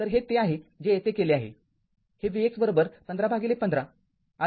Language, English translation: Marathi, So, let me clear it So, this is what we have done here this is v x is equal to 15 upon 15 plus